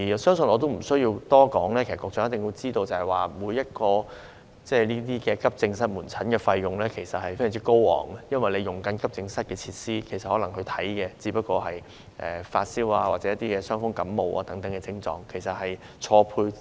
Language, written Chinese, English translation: Cantonese, 相信我不多說，局長也一定知道，用於提供急症室門診的費用其實非常高昂，因為市民使用急症室的設施，可能只為診治發燒或傷風感冒等症狀，資源嚴重錯配。, I believe that the Secretary knows very well without my saying that the cost to provide outpatient service at AED is actually very high . When the public use the facilities of the AED they may only be treated for minor ailments such as fever or colds and the resources are seriously mismatched